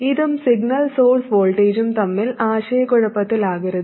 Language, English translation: Malayalam, Please don't get confused between this and the signal source voltage